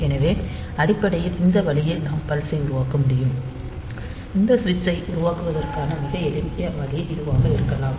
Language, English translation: Tamil, So, basically; so, in this way we can generate this pulse, a very simple way to generate this switch maybe like this